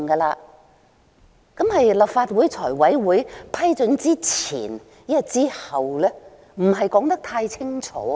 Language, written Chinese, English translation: Cantonese, 那麼是立法會財務委員會批准之前還是之後呢？, But is it before or after an approval is granted by the Finance Committee of the Legislative Council?